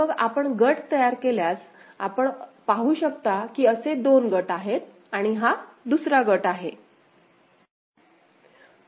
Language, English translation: Marathi, So, then if you form the groups; so, these are the 2 groups you can see and this is another group